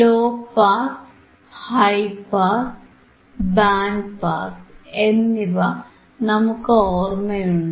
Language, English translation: Malayalam, You remember low pass, high pass and , band pass, all 3 checked